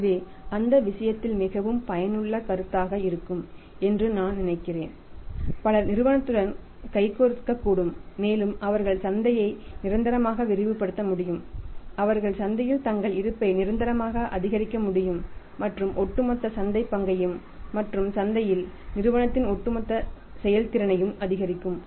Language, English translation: Tamil, So, I think in that case is going to be very very useful proposition and many people may join hands with the company and they can permanently expand the market they can permanently increase their presence in the market and overall increase market share will give them the money say you can call it as by products and increase over all performance of the company in the market will increase